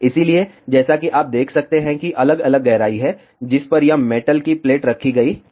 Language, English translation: Hindi, So, as you can see there are different depths at which this metal plate was kept